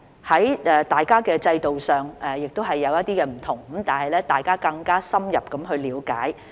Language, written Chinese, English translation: Cantonese, 儘管在制度上有些差別，大家有了更加深入的了解。, Despite some differences between the systems we have fostered deeper mutual understanding